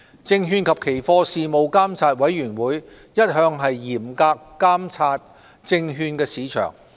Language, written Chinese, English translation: Cantonese, 證券及期貨事務監察委員會一向嚴格監察證券市場。, The Securities and Futures Commission has been closely monitoring the securities market